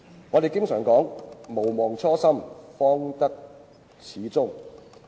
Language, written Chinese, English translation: Cantonese, 我們經常說："毋忘初心，方得始終"。, We always say Forget not the original intent and the goals will be achieved